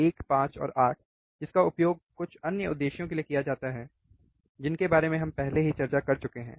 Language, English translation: Hindi, 1 5 and 8, that are used for some other purposes which we have already discussed